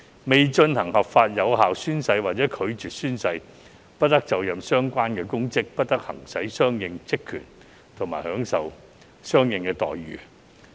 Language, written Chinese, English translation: Cantonese, 未進行合法有效宣誓或者拒絕宣誓，不得就任相應公職，不得行使相應職權和享受相應待遇。, No public office shall be assumed no corresponding powers and functions shall be exercised and no corresponding entitlements shall be enjoyed by anyone who fails to lawfully and validly take the oath or who declines to take the oath